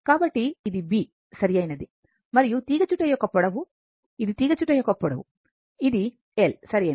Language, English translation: Telugu, So, this is B right and length of the coil, this is the length of the coil, this is your l, right